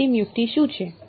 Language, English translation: Gujarati, What is the final trick